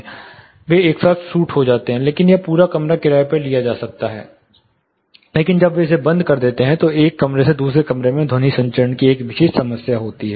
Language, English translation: Hindi, So, they become suit's together this whole room is rented out, but when they close it, there is a typical problem of sound transmission from one room to the other room